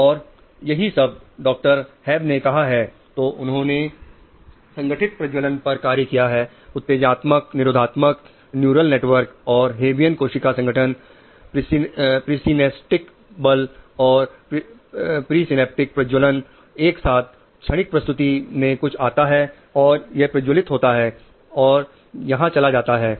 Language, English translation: Hindi, Hap said, which I, so they work in integrate fire, excitatory, inhibitory, neural networks, neurons and habian cell assembly, presynaptic, post synaptic firing together from transient presentation something comes, it fires, it goes here